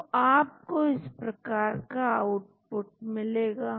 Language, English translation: Hindi, So, you get output like this